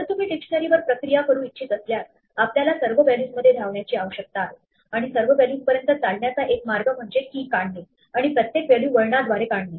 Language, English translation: Marathi, If you want to process a dictionary then we would need to run through all the values; and one way to run through value all the values is to extract the keys and extract each value by turn